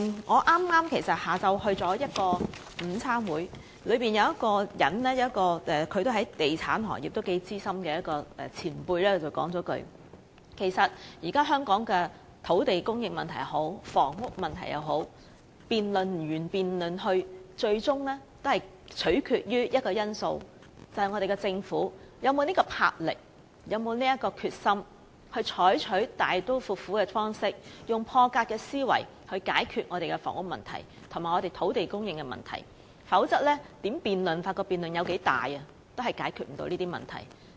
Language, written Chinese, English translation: Cantonese, 我剛在下午出席了一個午餐會，其中有位在地產行業頗資深的前輩說，對於現時香港的土地供應或房屋問題，不管如何辯論，最終也取決於一個因素，就是我們的政府究竟有沒有這種魄力和決心，以大刀闊斧的方式和破格思維解決房屋及土地供應問題，否則不管如何辯論或辯論有多大，亦無法解決這些問題。, In a luncheon I attended just this afternoon a richly experienced veteran of the property sector said that in respect of the problems of land supply or housing faced by Hong Kong at the moment you could have all the debates you want but ultimately it came down to one factor alone whether our Government had the drive and determination to solve the problems of housing and land supply by acting boldly and decisively and thinking out of the box . Otherwise no matter how those issues were debated or how grand the debate was they would remain unsolved